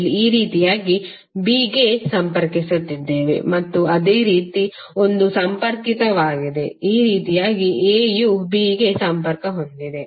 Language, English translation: Kannada, Here we are connecting a to b like this and similarly a is connected a is connected to b like this